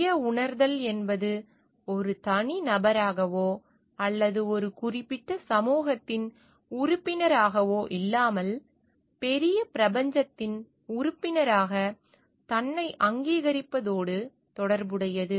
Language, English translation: Tamil, Self realization relates to the recognition of oneself as a member of the greater universe not just as a single individual or a member of a particular community